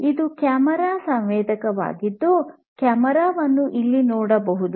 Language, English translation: Kannada, This is a camera sensor you can see the camera over here, Camera sensor